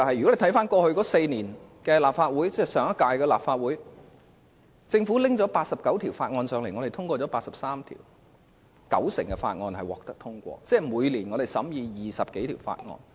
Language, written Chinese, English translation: Cantonese, 一如我過去所說，在上屆立法會的4年任期內，政府向本會提交了89項法案，本會通過了83項；換言之，九成法案獲得通過，每年審議20多項法案。, This situation happened at the meetings of the Committee on Rules of Procedure the House Committee and the Legislative Council . As I said in the past during the four - year term of the last Legislative Council the Government introduced 89 bills into the Legislative Council and 83 of them were passed . In other words 90 % of the bills had been passed and more than 20 bills had been considered each year